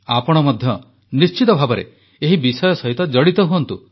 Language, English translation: Odia, You too should connect yourselves with this subject